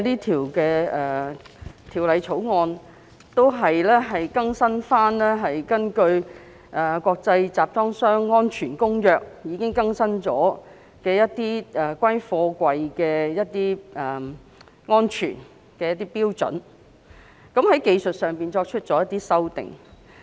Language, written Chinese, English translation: Cantonese, 《條例草案》的主要目的，是針對《國際集裝箱安全公約》已更新的貨櫃安全標準，作出技術性修訂。, The main purpose of the Bill is to introduce technical amendments to address the updated container safety standards in the International Convention for Safe Containers